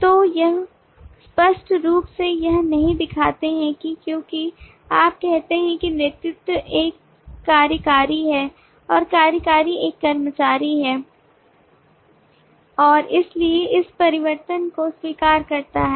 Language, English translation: Hindi, so yo do not explicitly show that because you say that lead is an executive and executive is an employee and therefore by transitivity this holds